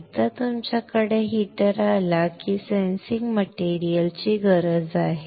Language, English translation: Marathi, Once you have heater you need a sensing material